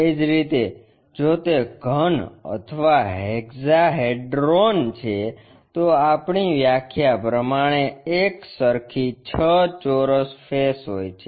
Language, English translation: Gujarati, Similarly, if it is a cube or hexahedron, we have the six faces cube by definition equal side faces